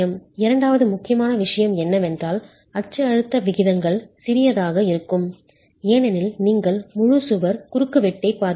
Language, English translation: Tamil, The second important thing is, of course the axial stress ratios are small because we're looking at an entire wall cross section